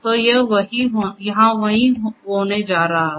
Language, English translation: Hindi, So, this is what is going to happen